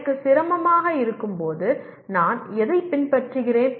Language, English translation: Tamil, When I am having difficulty what is it that I follow